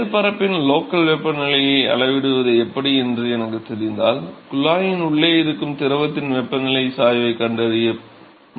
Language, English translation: Tamil, So, if I know how to measure the local temperature of the surface, I am done I can find the temperature gradient of the fluid inside the tube